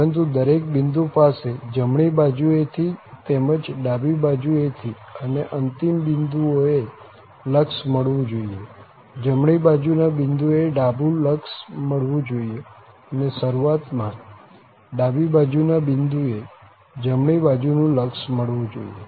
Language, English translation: Gujarati, But, the limit at each point from the right hand side as well as from the left hand side should exist and at the end points, so at the right hand point, the left limit should exist and at the beginning point a, the right limit should exist